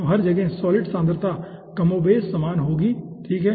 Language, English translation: Hindi, okay, so everywhere the solid concentration will be more or less similar